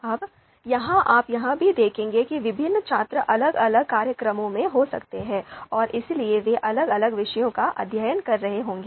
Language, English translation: Hindi, Now here you would you know you would also see that the different students might be into different programs and therefore they might be studying different subjects